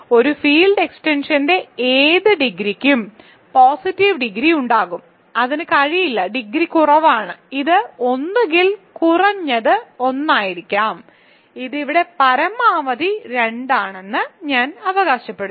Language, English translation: Malayalam, Any degree of a field extension will have positive degree, it cannot have degree less than one right, so it is either it is at least one, I claim that it is at most 2 here